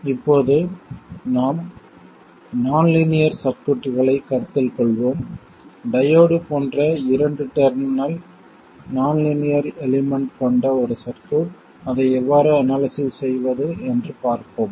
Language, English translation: Tamil, Now let's consider a nonlinear circuit, a circuit with a two terminal nonlinear element such as a diode and see how to analyze it